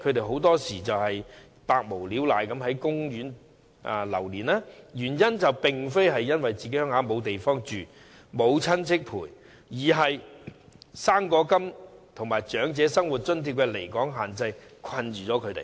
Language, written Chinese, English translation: Cantonese, 很多時候，他們無所事事，在公園流連，原因並非家鄉沒有地方讓他們居住或沒有親戚陪伴左右，而是因為"生果金"及長者生活津貼的離港限制限制了他們。, They often hang around and wander in parks not so much because they cannot find a place to live in their hometowns or do not have the company of their relatives but because they are restricted by the limit on absence from Hong Kong under the fruit grant and the Old Age Living Allowance OALA